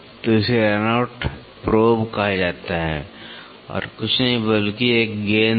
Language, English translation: Hindi, So, this is called as a run out probe which is nothing, but a ball